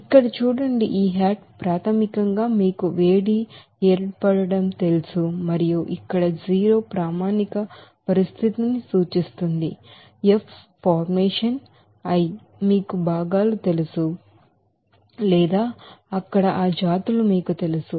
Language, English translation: Telugu, Here see that this hat is basically that specific you know heat formation and 0 here denotes the standard condition, f for formation, i for you know constituents or you know that species there